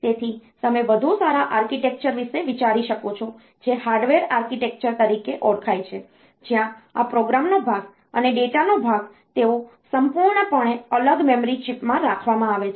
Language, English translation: Gujarati, So, you can think about a better architecture which is known as Harvard architecture where this program part and the data part they are kept in totally separate memory chips